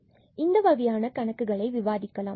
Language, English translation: Tamil, So, let me just discuss the problem